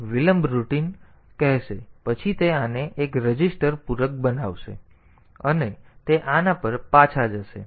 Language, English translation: Gujarati, So, this will call this delay routine then it will complement this a register and then it will go back to this